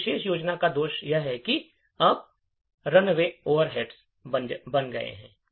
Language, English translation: Hindi, The drawback of this particular scheme is that now the runtime overheads have increased